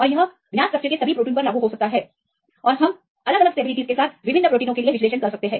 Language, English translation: Hindi, In this case it can be applicable to all the proteins of known structures and we can do the analysis for the different proteins with different stabilities